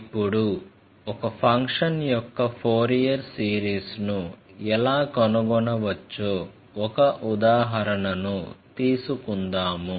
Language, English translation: Telugu, Now, let us take one more example to check how we can find out the Fourier series of a function